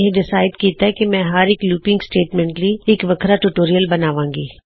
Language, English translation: Punjabi, I have decided to create seperate tutorials for each looping statement